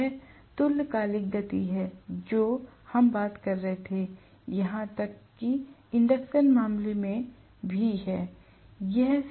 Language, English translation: Hindi, This is the synchronous speed, what we were talking about, even in the case of induction machine